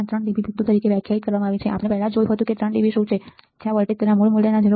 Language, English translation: Gujarati, 3 dB point right we have already seen what is 3 dB or what that is where the voltage drops about 0